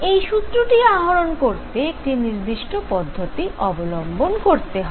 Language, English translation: Bengali, This formula is derived in an exact manner